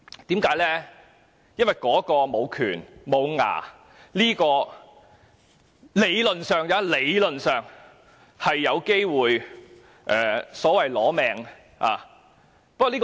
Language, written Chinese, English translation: Cantonese, 因為專責委員會無權、"無牙"，但彈劾議案理論上有機會"攞命"，攞特首的命。, That is because the Select Committee lacks power and is toothless but the impeachment motion may theoretically be fatal it may take the Chief Executives life